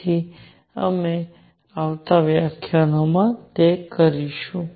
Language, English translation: Gujarati, So, we will do that in coming lectures